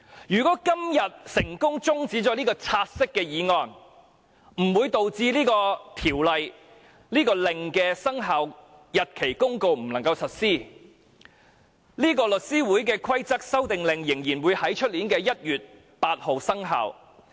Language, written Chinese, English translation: Cantonese, 如果今天成功將"察悉議案"的辯論中止待續，不會導致相關的附屬法例及《公告》不能實施，《公告》仍會在明年1月8日生效。, If the debate on the take - note motion is adjourned today the relevant items of subsidiary legislation and the Notice will still be implemented . The Notice will still take effect on 8 January next year